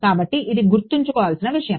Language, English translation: Telugu, So, that is something to keep in mind